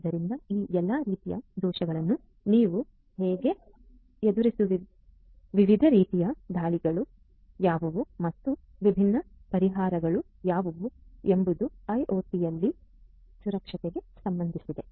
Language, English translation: Kannada, So, how you are going to deal with all of these different types of vulnerabilities; what are the different types of attacks and what are going to be the different solutions is what concerns security in IIoT